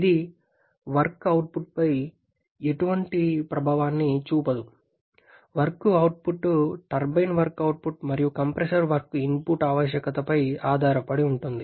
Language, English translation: Telugu, Whereas it does not have any effect on the work output because the work output depends on the turbine work output and the compressor work input requirement